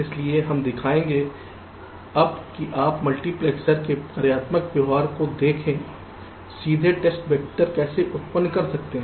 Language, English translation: Hindi, so we shall show now that how you can generate the test vectors directly by looking at the functional behaviour of a multipexer